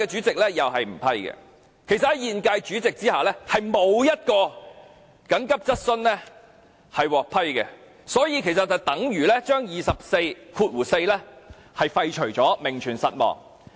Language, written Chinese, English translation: Cantonese, 其實，在現屆主席下，並沒有一項急切質詢獲批，這等於把《議事規則》第244條廢除，名存實亡。, In fact under the incumbent President not a single urgent question has been approved and RoP 244 is virtually being annulled but only exists in name